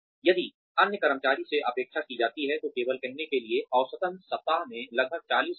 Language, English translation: Hindi, If the other employees are expected, only to put in, say, on an average, about 40 hours a week